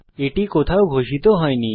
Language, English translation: Bengali, It was not declared anywhere